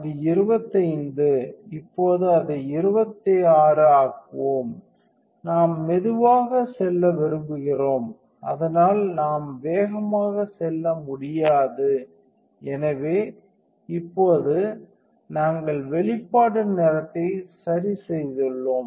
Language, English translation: Tamil, So, it is a 25, let us make it 26 now we want to go slower, so we do not get fast to just; so now, we have adjusted the exposure time